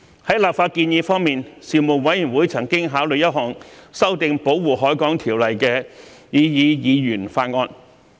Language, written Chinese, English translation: Cantonese, 在立法建議方面，事務委員會曾考慮一項修訂《保護海港條例》的擬議議員法案。, With regard to legislative proposals the Panel examined a proposed Members Bill to amend the Protection of the Harbour Ordinance